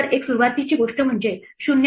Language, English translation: Marathi, The initial thing is to say 0